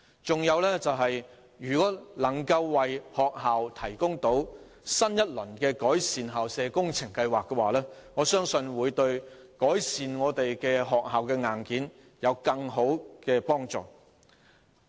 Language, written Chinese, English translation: Cantonese, 此外，如果政府能為學校推行新一輪的"改善校舍工程計劃"，我相信對改善學校的硬件會有更大的幫助。, Moreover I believe if the Government can launch a new round of the School Improvement Programme it will be of great help in improving the hardware in schools